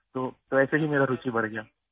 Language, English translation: Urdu, So just like that my interest grew